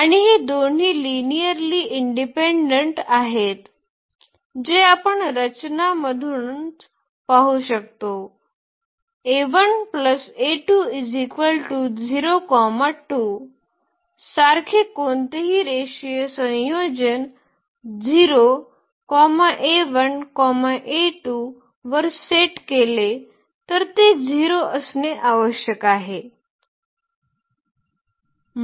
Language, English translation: Marathi, And these two are also linearly independent which we can see from the structure itself, any linear combination like alpha 1 plus alpha 2 is equal to if we set to 0 the alpha 1 alpha 2 has to be 0